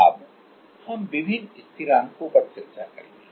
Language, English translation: Hindi, Now, we will discuss different constants